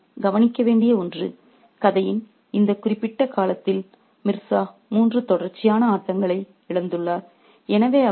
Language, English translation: Tamil, And at particular, at this particular point of time in the story, Mirza has lost three successive games